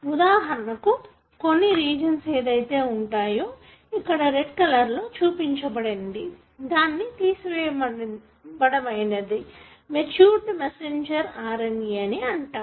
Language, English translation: Telugu, For example, there could be regions which are present, shown here in the red color line are removed to form what is called as matured messenger RNA